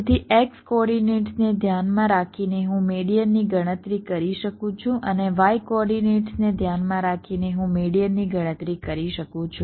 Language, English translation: Gujarati, so, so with respects to the x coordinates, i can calculate the median with respect the y coordinates, i can calculate the median, like you see, if you look at the x coordinates, two, two, four, four